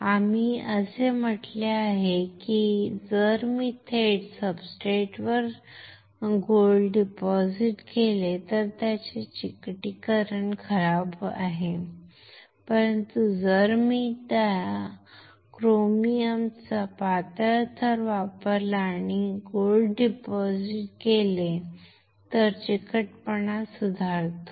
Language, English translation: Marathi, What we have said is that if I directly deposit gold on the substrate it has a poor adhesion, but if I use a thin layer of chromium and then deposit gold the adhesion improves